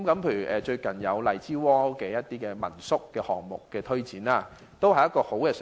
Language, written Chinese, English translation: Cantonese, 例如最近荔枝窩民宿項目的推展，都是很好的嘗試。, For example it is a good attempt to launch the recent guesthouse project at Lai Chi Wo